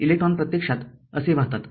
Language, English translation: Marathi, So, electron flow will be upwards So, this is that electron flow